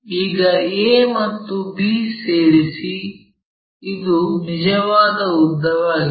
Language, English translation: Kannada, Now, join a and b, this is true length